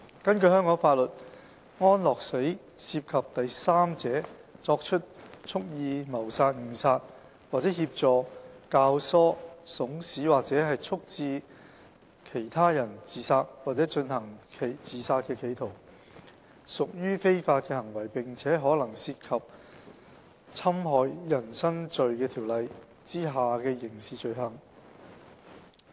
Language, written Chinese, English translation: Cantonese, 根據香港法律，安樂死涉及第三者作出蓄意謀殺、誤殺，或協助、教唆、慫使或促致他人自殺或進行自殺企圖，屬非法行為並可能涉及《侵害人身罪條例》下的刑事罪行。, Under the laws of Hong Kong euthanasia involves a third partys acts of intentional killing manslaughter or aiding abetting counselling or procuring the suicide of another or an attempt by another to commit suicide . These are unlawful acts possibly liable to criminal offences under the Offences Against the Person Ordinance